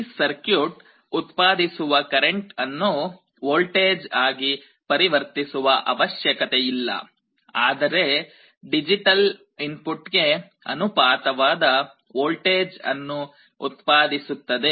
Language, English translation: Kannada, It is not that this circuit generates a current that has to be converted to a voltage; rather it directly produces a voltage proportional to the digital input